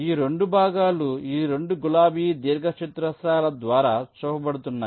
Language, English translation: Telugu, so these two parts is shown by these two pink rectangles